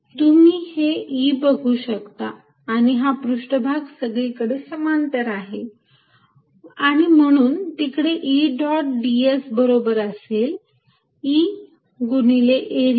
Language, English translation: Marathi, so you see e and the surface are parallel everywhere and therefore e d s is nothing but e dot d s is nothing but e times area there